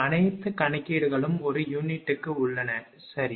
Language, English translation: Tamil, All calculations are in per unit, right